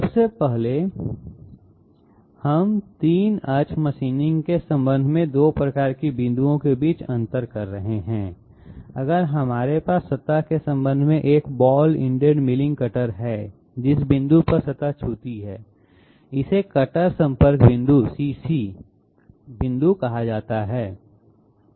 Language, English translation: Hindi, First of all, we are differentiating between 2 types of points in connection with 3 axis machining that is, if we have a ball ended milling cutter in connection with the surface, the point at which it connects to the surface the point of touch or contact, it is called cutter contact point CC point